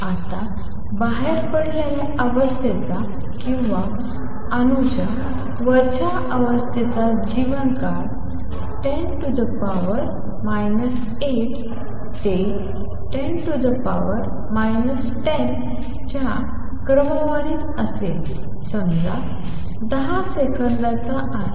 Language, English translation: Marathi, Now life time of an exited state or the upper state of an atom is of the order of 10 raise to minus 8 to 10 raise to minus let say 10 seconds